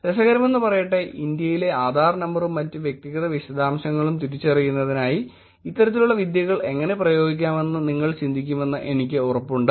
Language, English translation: Malayalam, Interestingly I am sure you could also think about how these kinds of techniques can be applied in terms of identifying Adhaar number in India also and other personal details